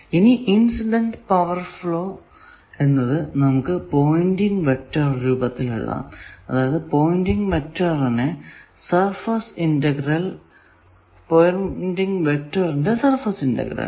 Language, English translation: Malayalam, Now, the incident power flow can be written like we know, it can be expressed as the pointing vector, surface integration of pointing vector